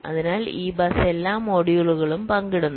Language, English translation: Malayalam, so this bus is being shared by all the modules